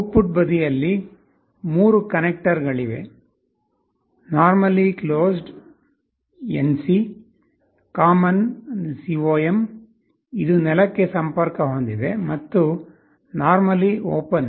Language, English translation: Kannada, On the output side you see there are 3 connectors, normally closed , a common , which is connected to ground and normally open